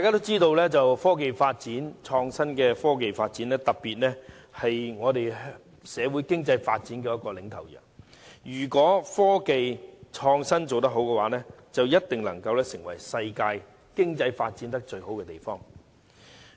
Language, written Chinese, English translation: Cantonese, 眾所周知，科技發展，特別是創新科技發展是社會經濟發展的領頭羊，如果創新科技做得好，定能成為全球經濟發展最好的地方。, As we all know technology development particularly the development of innovation and technology is the leading sheep in economic development in society . If technology development of a place fares well the place will definitely enjoy the best economic development in the world